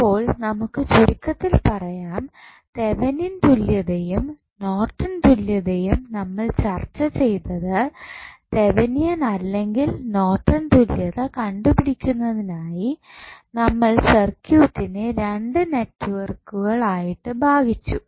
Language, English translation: Malayalam, So, now, let us summarize what we discussed in case of Thevenin's and Norton's equivalent to determine the Thevenin's or Norton's equivalent the circuit can divided into 2 networks